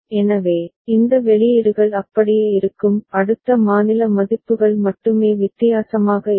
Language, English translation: Tamil, So, these output will remain the same; only the next state values will be different ok